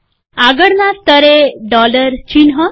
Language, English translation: Gujarati, Next level, dollar sign